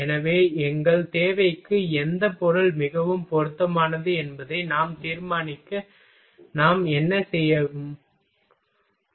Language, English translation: Tamil, So, what we will do, to decide which material will be most suitable for our requirement